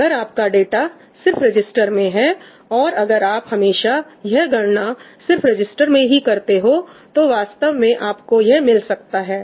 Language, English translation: Hindi, If your data is only in registers, and you are always doing your computations with data in registers, then you can actually achieve that